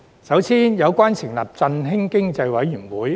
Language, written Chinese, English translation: Cantonese, 首先是有關成立振興經濟委員會。, The first proposal is to set up an Economic Stimulation Committee